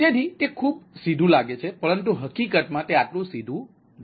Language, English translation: Gujarati, this is pretty straight forward, but in reality it may not be that straight forward